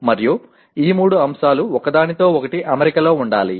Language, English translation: Telugu, And these three elements should be in alignment with each other